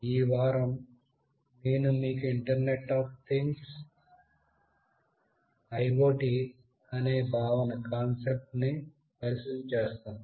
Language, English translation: Telugu, In this week, I will be introducing you to a concept called Internet of Things